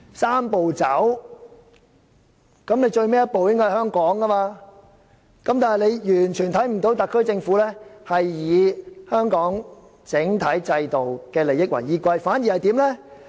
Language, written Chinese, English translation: Cantonese, "三步走"的最後一步應該在香港，但大家完全看不到特區政府是以香港整體制度的利益為依歸，反而怎樣呢？, The last step of the Three - step Process should be carried out in Hong Kong and yet we do not see that the SAR Government has in the least acted in the interest of the overall system of Hong Kong . On the contrary what has it done?